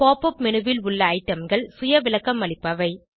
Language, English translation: Tamil, The items in the Pop up menu are self explanatory